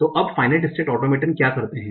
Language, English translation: Hindi, So now what do the finite state automatin do